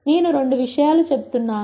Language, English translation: Telugu, I am just pointing out two